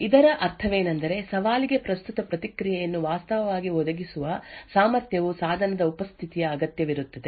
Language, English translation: Kannada, What this means is that the ability to actually provide the current response to a challenge should require the presence of the device